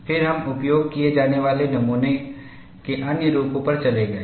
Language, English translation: Hindi, Then we moved on to other forms of specimens that are used